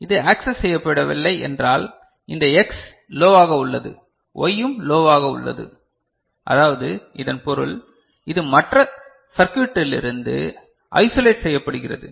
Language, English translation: Tamil, So, if not accessed means this X is low, Y is also low so that means, this is isolated from the rest of the circuit